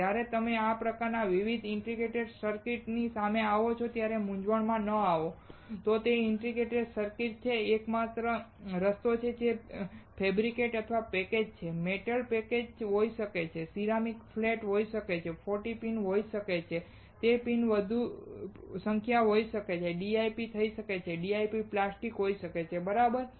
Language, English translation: Gujarati, So, when you come across this kind of different indicator circuit do not get confused, they are all integrated circuits its only way they are fabricated or packaged, it can be metal package, it can be ceramic flat, it can be 14 pin, it can be more number of pins, it can be DIP it can be DIP plastic, right